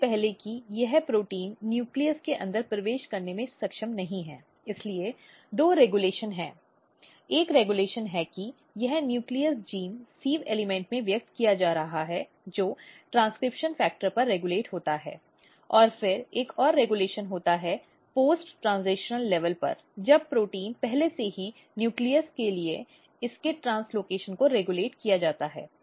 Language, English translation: Hindi, So, before this cells protein is not able to enter inside the nucleus so there are two regulation one regulation is that this nucleus genes are getting expressed in the sieve element that is regulated at the transcription level and then another regulation is at the post translational level when protein is already made its translocation to the nucleus is regulated